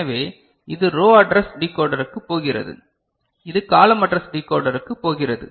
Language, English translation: Tamil, So, this is going to row address decoder and this is going to column address decoder